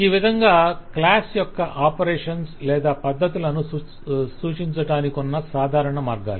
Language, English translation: Telugu, So these are the typical ways to denote the operations or methods of a class